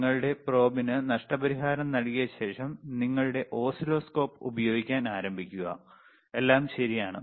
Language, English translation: Malayalam, After you compensate your probe, then and then only start using your oscilloscope, all right